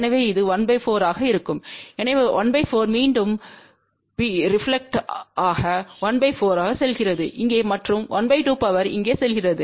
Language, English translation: Tamil, So, that will be 1fourth so 1 fourth reflects back 1 fourth goes over here and half power goes over here